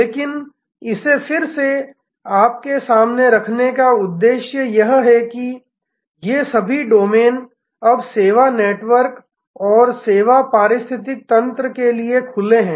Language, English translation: Hindi, But, the purpose of putting this again in front of you is to highlight that all these domains are now open to service networks and service ecosystems